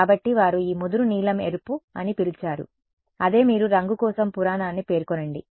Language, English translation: Telugu, So, that is what they called this dark blue red that is the you specify the legend for the colour